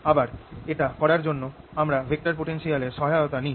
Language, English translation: Bengali, again, to do this we take help of vector potential